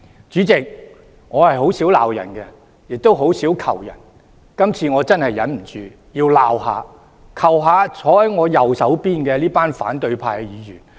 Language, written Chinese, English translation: Cantonese, 主席，我很少罵人，亦很少求人，今次真的無法忍受，要責罵、請求坐在我右方的反對派議員。, President I seldom scold anyone and I also seldom ask anyone for any favour . But I cannot put up with the present situation anymore . I have to scold the opposition Members sitting on my right side and ask them for a favour